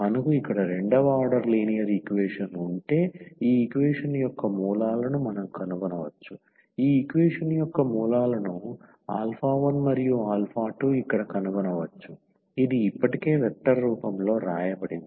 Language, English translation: Telugu, If we have a second order linear equation here, we can find out the roots of the auxiliary equation we can find the roots of this equation which was alpha 1 and alpha 2 here it is written already in the vector form